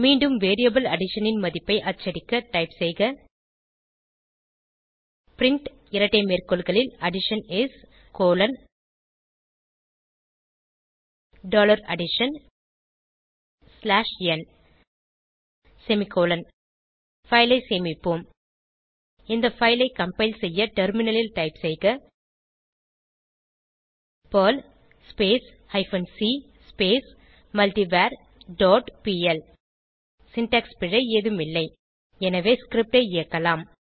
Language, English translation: Tamil, Once again, to print the value of the variable addition, type print double quote Addition is dollar addition slash n close double quote semicolon Save this file To compile this file again on terminal type perl hyphen c multivar dot pl There is no syntax error so we can execute the script..